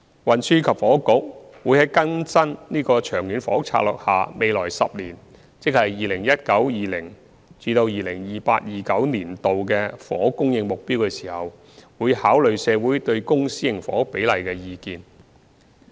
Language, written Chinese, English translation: Cantonese, 運輸及房屋局會在更新《長遠房屋策略》下未來10年的房屋供應目標時，考慮社會對公私營房屋比例的意見。, The Transport and Housing Bureau will take into account the views of the community on the ratio of public and private housing in updating the housing supply target for the next 10 - year period under the Long Term Housing Strategy